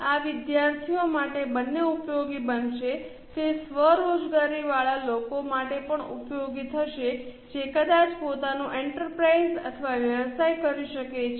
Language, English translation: Gujarati, It will be also useful for self employed people who might be doing their own enterprise or business